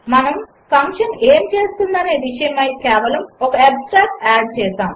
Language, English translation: Telugu, We just added an abstract of what the function does